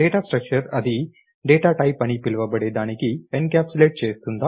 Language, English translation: Telugu, Data structure is it encapsulates the what is called a data type